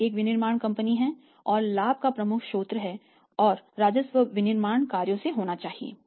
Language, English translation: Hindi, We are a manufacturing company and major source of the profit and the revenue and the profit should be the manufacturing operations